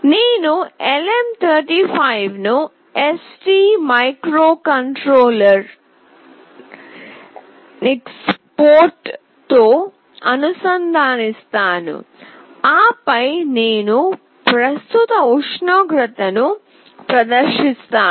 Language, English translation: Telugu, I will be connecting LM35 with ST microelectronics port and then I will be displaying the current temperature